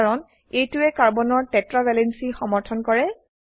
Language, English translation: Assamese, This is because it satisfies Carbons tetra valency